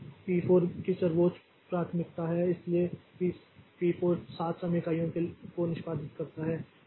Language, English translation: Hindi, So, P4 has the highest priority so P4 executes for seven time units